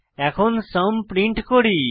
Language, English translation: Bengali, Then we print the sum